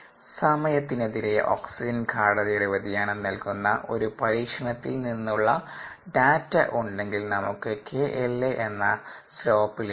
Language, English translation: Malayalam, and if we have data from an experiment that gives us the variation of the concentration of oxygen and the liquid verses time, we will get k l a as the slope